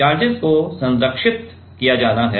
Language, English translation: Hindi, Now, the charges have to be conserved right